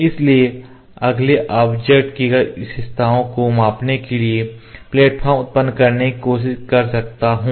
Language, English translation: Hindi, So, next I am trying to generate the platform to measure the features of the object